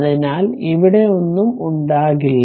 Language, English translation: Malayalam, So, there will be nothing here